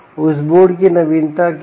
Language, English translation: Hindi, what is the novelty now of this board